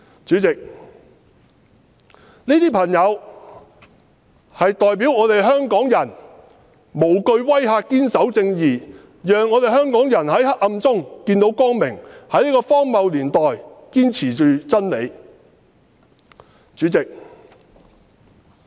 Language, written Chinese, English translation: Cantonese, 主席，這些朋友代表香港人無懼威嚇堅守正義的精神，讓香港人在黑暗中見到光明，在這個荒謬的年代，堅持真理。, President these people represent the spirit of Hong Kong people who uphold the spirit of justice having no fear of the threats . They let Hong Kong people see light in the dark in this ridiculous era by upholding the truth steadfastly